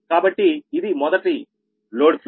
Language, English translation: Telugu, right, so that it first is load flow